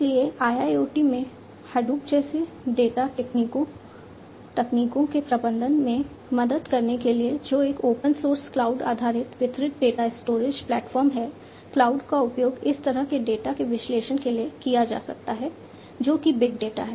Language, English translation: Hindi, So, in IIoT for helping in the management of the data technologies such as Hadoop, which is an open source cloud based distributed data storage platform, cloud can be used for the analysis of this kind of data, which is big data